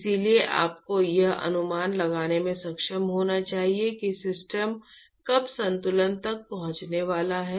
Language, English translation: Hindi, So, that you have to you should be able to predict when the system is going to reach an equilibrium